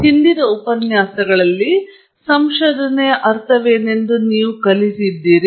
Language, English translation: Kannada, In the previous lectures, you have learnt what is meant by research